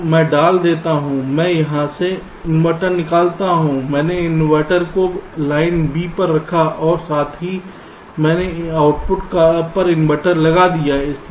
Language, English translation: Hindi, i modify the circuits so i put the, i take out the inverter from here, i put the inverter on line b and also i put an inverter on the output